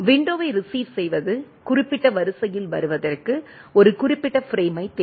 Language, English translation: Tamil, Receiving window always looking for a specific frame to arrive in the specific order